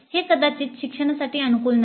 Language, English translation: Marathi, That may not be very conducive for learning